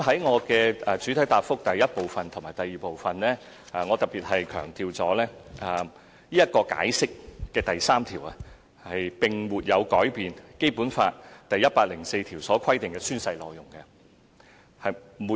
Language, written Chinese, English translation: Cantonese, 我在主體答覆第一和二部分特別強調，《解釋》的第三條並沒有改變《基本法》第一百零四條所規定的宣誓內容。, I have particularly emphasized in parts 1 and 2 of the main reply that Article 3 of the Interpretation has not changed the oath content under Article 104 of BL